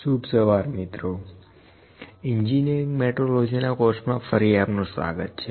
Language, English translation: Gujarati, Good morning welcome back to the course Engineering Metrology